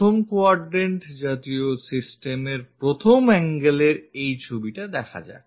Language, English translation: Bengali, Let us look at this picture in the 1st angle our 1st quadrant kind of system